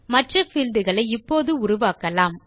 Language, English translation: Tamil, Let us create the rest of the fields now